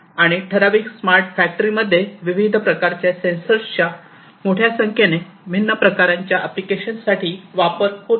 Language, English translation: Marathi, And in typical factory smart factories we are talking about the use of large number of different variants of different different types of sensors